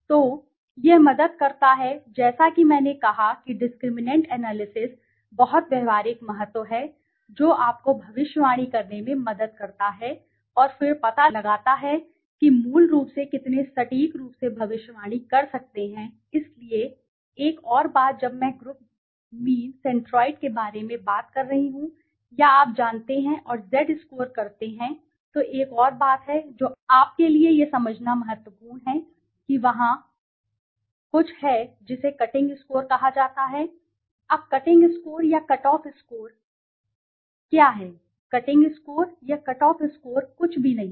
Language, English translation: Hindi, So, it helps in as I said discriminant analyses are very practical significance it helps you to predict and then find out how accurately you can predict basically okay so one more thing when I am talking about group mean centroid or you know and z score, there is the another thing which is important for you to understand that is there is something called a cutting score, now cutting score or cut off score so what is this cutting score or cut off score the cutting score or cut off score is nothing